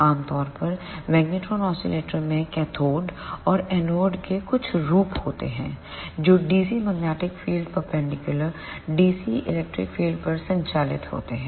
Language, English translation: Hindi, Generally magnetron oscillators contain some form of cathode and anode which are operated in dc magnetic field normal to the dc electric field